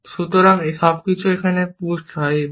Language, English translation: Bengali, So, everything is pushed here, like this